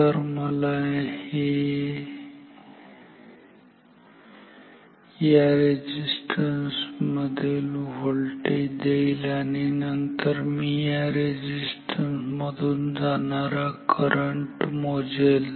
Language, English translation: Marathi, So, this will give me the voltage across this resistance and then I will measure the current through this resistance